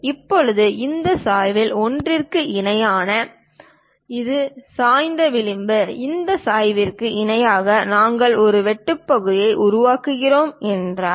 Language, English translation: Tamil, Now in this case parallel to one of this slant, this is the slant edge; parallel to this slant, if we are making a cut section